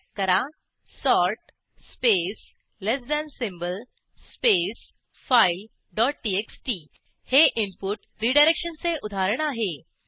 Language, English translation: Marathi, Type sort space less than symbol space file dot txt This is an example of input redirection